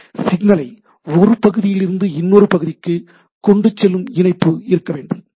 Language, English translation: Tamil, There should be a connectivity which carries the signal from one part to another, right